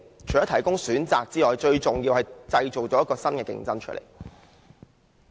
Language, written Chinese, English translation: Cantonese, 除可提供選擇外，最重要的是可以製造新的競爭者。, The measure will provide more options and more importantly it will bring in new competitors